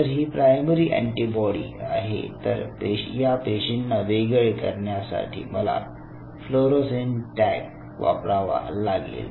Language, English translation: Marathi, I mean if this is a primary antibody I have to have a fluorescent tag which will distinguish these cells